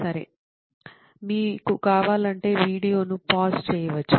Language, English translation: Telugu, Okay, you can even pause the video if you want